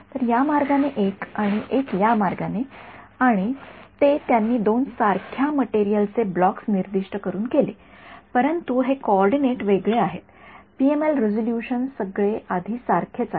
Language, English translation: Marathi, So, one this way and one this way and they have done it by specifying two blocks same material, but this coordinates are different PML resolution everything as before ok